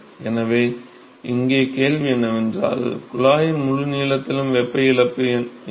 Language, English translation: Tamil, So, here the question is, what is the heat loss over whole length of the tube